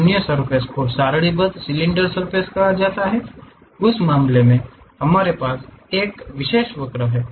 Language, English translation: Hindi, Other surfaces are called tabulated cylinder surfaces; in that case we have one particular curve